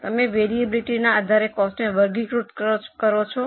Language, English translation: Gujarati, You classify the cost based on variability